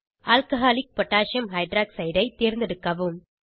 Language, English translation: Tamil, Select Alcoholic Potassium hydroxide(Alc.KOH)